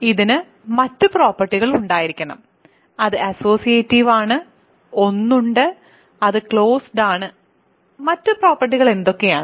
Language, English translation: Malayalam, It has to have a other properties, it is associative it has one it has it is closed and what are the other properties